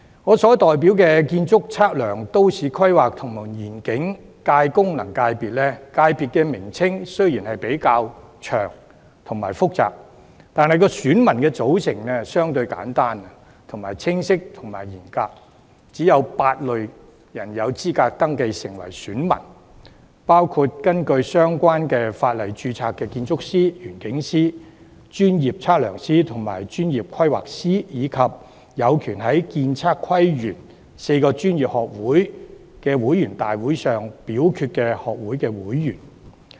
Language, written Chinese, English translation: Cantonese, 我所代表的建築、測量、都市規劃及園境界功能界別，名稱雖然較長和複雜，但選民組成相對簡單、清晰和嚴格，只有8類人士有資格登記成為選民，包括根據相關法例註冊的建築師、園境師、專業測量師和專業規劃師，以及有權在建測規園4個專業學會的會員大會上表決的學會會員。, The electorate composition of the Architectural Surveying Planning and Landscape FC that I represent despite its comparatively long and complicated name is relatively simple clear and strict . Only eight categories of persons are eligible to register as voters and they include architects landscape architects professional surveyors and professional planners registered under the relevant legislation as well as members entitled to vote at general meetings of the four professional institutes of the architectural surveying planning and landscape fields